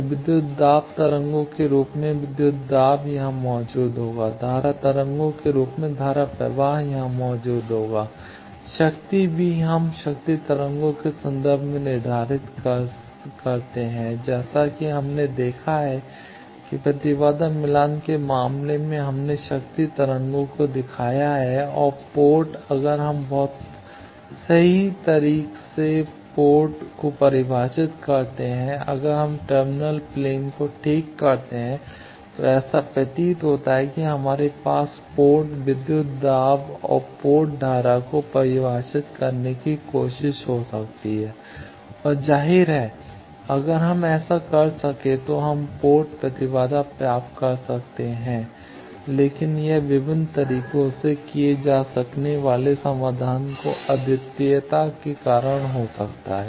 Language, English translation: Hindi, So, voltage in the form of voltage waves will exist here, current in the form of current waves will exist here, power also we prescribe in terms of power waves as we have seen in the case of impedance matching we have shown power waves and at the port, if we very precisely can define ports that means, on a terminal plane if we fix the terminal plane then it appears that we can have a try to define port voltage and port current and obviously, if we can do that we can get port impedance, but it can be due to the non uniqueness of the solutions it can be done in various ways